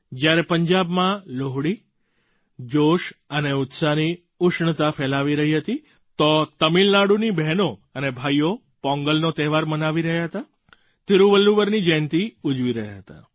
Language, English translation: Gujarati, When Punjab was spreading the warmth of enthusiasm by celebrating Lohri, sisters and borthers of Tamil Nadu were celebrating Pongal and birth anniversary of Thiruvalluvar